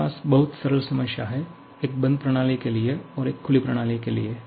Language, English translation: Hindi, I have couple of very simple problems, one for the closest system; one for the open system